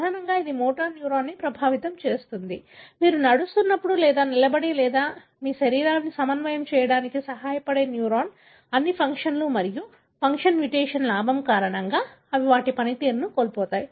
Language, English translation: Telugu, Mainly it affects the motor neuron, the neuron that help you to coordinate your body while walking or standing up or whatever,, all the functions and they lose their function, because of a gain of function mutation